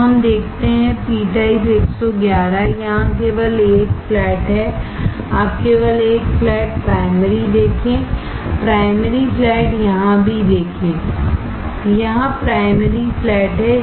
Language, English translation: Hindi, So, let us see, p type 111 there is only 1 flat here, you see only 1 flat primary , see primary flat is here also, there is primary flat here